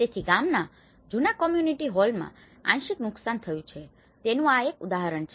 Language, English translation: Gujarati, So, this is one example it has been partly damaged to the old community hall of the village